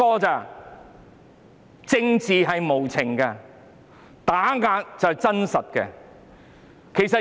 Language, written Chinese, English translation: Cantonese, 政治無情，打壓是真實。, Politics is ruthless and suppression is true